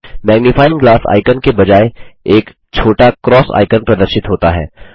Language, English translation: Hindi, Instead of the Magnifying glass icon, a small cross icon is displayed